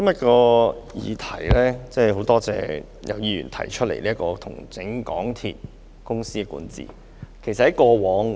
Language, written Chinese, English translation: Cantonese, 主席，我多謝今天有議員提出"重整港鐵公司管治"的議案。, President I thank the Member for moving the motion on Restructuring the governance of MTR Corporation Limited today